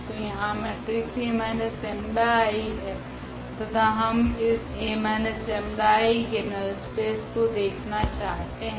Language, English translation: Hindi, So, here the matrix is A minus lambda I and if we look for the null space of this A minus lambda I